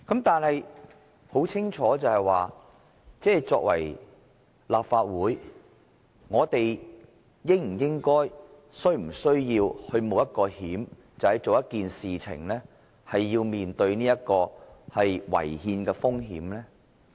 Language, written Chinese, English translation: Cantonese, 然而，很清楚的是，作為立法會議員，我們是否應該或是否需要冒這個險，也就是為了做一件事而面對違憲的風險？, But clearly enough the question is whether we being Members of the Legislative Council should or need to run this risk or face the risk of unconstitutionality in doing this thing